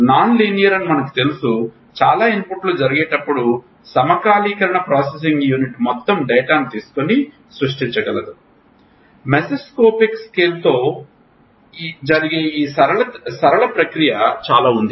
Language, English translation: Telugu, Non linear we know that fine the lot of inputs happen the sync processing unit can take all the data and create another dimension that is fine there is a lot of non linear process that happens in the mesoscopic scale